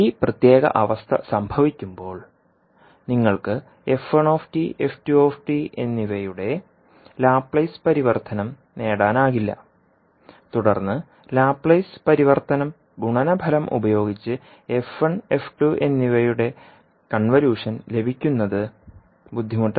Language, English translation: Malayalam, So when this particular condition happens you will not be able to get the Laplace transform of f1t and f2t and then getting the convolution of f1 and f2 using the Laplace transform product, would be difficult